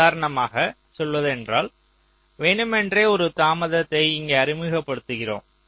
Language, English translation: Tamil, how, like say, for example, we deliberately introduce a delay out here